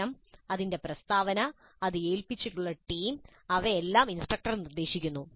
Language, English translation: Malayalam, The problem, its statement, the team to which it is assigned, they're all dictated by the instructor